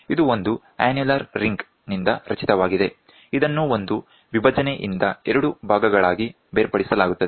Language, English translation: Kannada, It is composed of an annular ring, which is separated into two parts by a partition